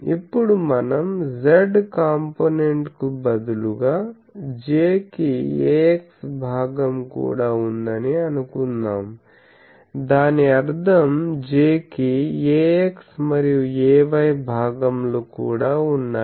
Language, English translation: Telugu, Now we say that instead of z component suppose J also has a x component; that means, it has a Jx and also a Jy